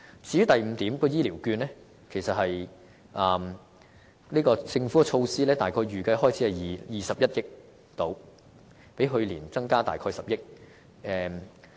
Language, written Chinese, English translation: Cantonese, 至於第五點提到的醫療券，政府在這項措施的預算開支約為21億元，較去年約增加10億元。, As regards the vouchers mentioned in item e the estimated expense of this initiative is around 2.1 billion reflecting an increase of 1 billion over the last year